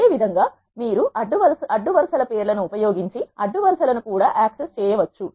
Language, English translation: Telugu, Similarly you can also access the rows by using the names of the rows